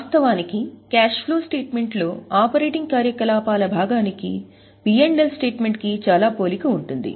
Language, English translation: Telugu, Actually, this part of cash flow, that is operating activities part, is very much similar to PNL